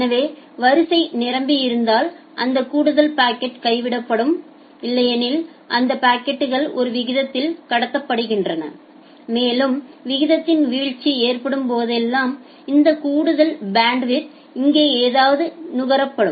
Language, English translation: Tamil, So, if queue full, then those additional packet gets dropped otherwise those packets are transmitted at a rate and whenever there is a drop in the rate well this additional bandwidth will something get consumed here